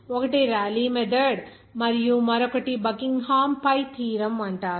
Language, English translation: Telugu, One is called Rayleigh's method and the other is called Buckingham Pi theorem